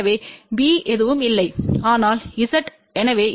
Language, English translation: Tamil, So, B is nothing, but Z so Z by Z 0, C is equal to 0